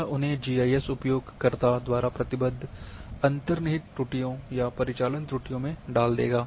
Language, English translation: Hindi, Those will put them in inherent errors ,operational errors committed by the GIS users